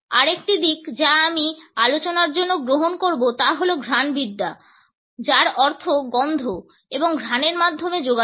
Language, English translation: Bengali, Another aspect which I would take up for discussion is olfactics which means communication through smell and scent